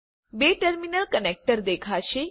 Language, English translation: Gujarati, A two terminal connector will appear